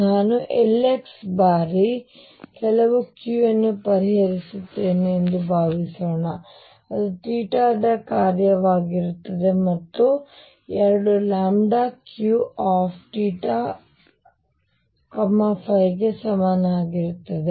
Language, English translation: Kannada, Suppose I were to solve L x times some Q, right which will be a function of theta and phi both equals lambda Q theta and phi